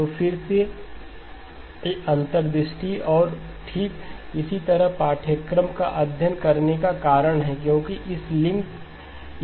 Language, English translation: Hindi, So again these are the insights and that is precisely the reason for studying a course like this, because it has got its links